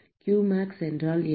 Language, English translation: Tamil, What is qmax